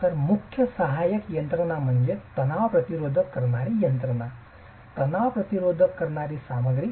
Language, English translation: Marathi, So the main supporting system is a tension resisting system, tension resisting material